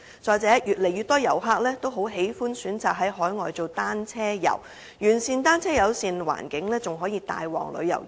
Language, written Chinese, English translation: Cantonese, 再者，越來越多遊客喜歡選擇在海外進行單車遊，完善的單車友善環境更可帶旺旅遊業。, Furthermore more and more tourists like to engage cycling tours in overseas countries . A sound bicycle - friendly environment can even add impetus to the tourism industry